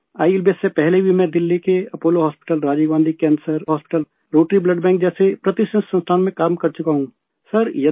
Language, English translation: Urdu, Even before ILBS, I have worked in prestigious institutions like Apollo Hospital, Rajiv Gandhi Cancer Hospital, Rotary Blood Bank, Delhi